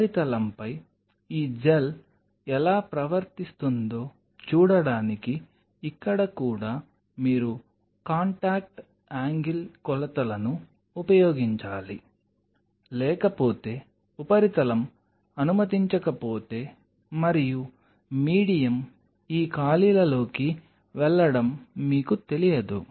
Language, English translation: Telugu, Here also you will have to use contact angle measurements to see how this gel is behaving on the surface because otherwise if the surface does not allow and then the medium will not you know move into these spaces fine